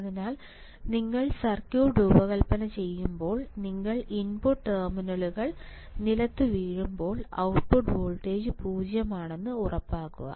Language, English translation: Malayalam, So, in when you design the circuit you make sure that you are you are output voltage is 0 when your input terminals are grounded